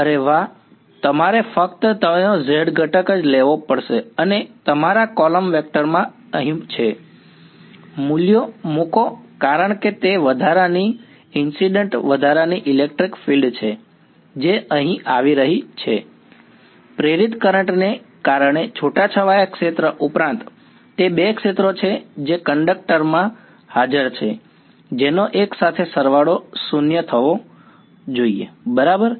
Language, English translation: Gujarati, Yeah you just have to take the z component of it and in your column vector over here this guy, put in the values because, that is the extra incident extra electric field that is coming over here, in addition to the scattered field due to induced current those are the two fields which are present in the conductor which should together sum to 0 ok